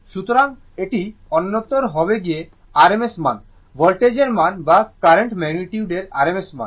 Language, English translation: Bengali, So, it will be either it will be rms value by rms value of voltage by rms value of current this magnitude